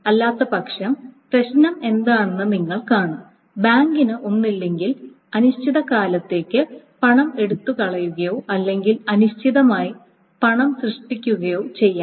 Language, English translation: Malayalam, Otherwise you see what the problem is the bank can either take away money indefinitely or generate money indefinitely